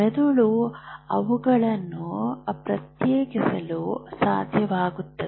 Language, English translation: Kannada, Now your brain is able to differentiate this